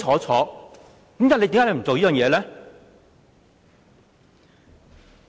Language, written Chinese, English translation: Cantonese, 為何你不肯這樣做呢？, Why do you refuse to do so?